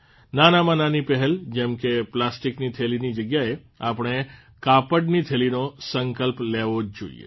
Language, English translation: Gujarati, At least we all should take a pledge to replace plastic bags with cloth bags